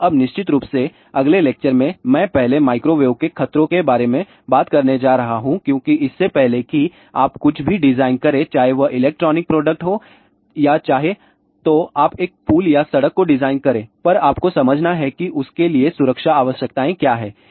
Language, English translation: Hindi, So, now, of course, in the next lecture I am going to first talk about microwave hazards because before you design anything whether it is a electronic product or whether let us say your designing a bridge or the road you have to understand what are the safety requirements for that